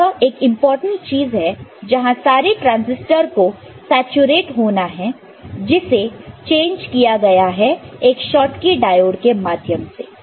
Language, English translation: Hindi, So, that is one important thing where all the transistor that are supposed to saturate right that are changed using a Schottky diode, ok